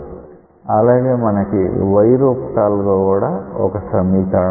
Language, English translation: Telugu, Fortunately, you will also get another equation involving y